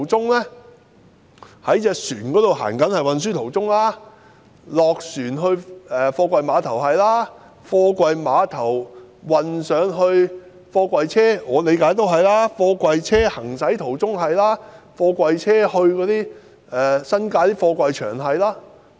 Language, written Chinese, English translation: Cantonese, 據我理解，這包括船隻航行途中、下船後運送到貨櫃碼頭、由貨櫃碼頭運送到貨櫃車、貨櫃車行駛途中，以及貨櫃車前往新界的貨櫃場。, To my understanding it covers containers being transported on ships unloaded from ships to container terminals transported from container terminals to container trucks transported on container trucks and delivered to the container yards in the New Territories